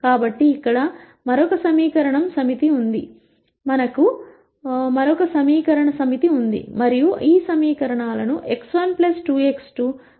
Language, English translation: Telugu, So, here is another set of equations and we have to read these equations as x 1 plus 2 x 2 is 5 plus 2 x 1 plus 4 x 2 equals 10